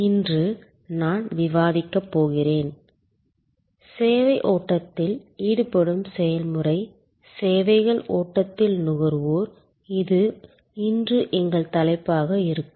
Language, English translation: Tamil, Today, I am going to discuss, the process of engaging with the service flow so, Consumer in the Services flow, this will be our topic today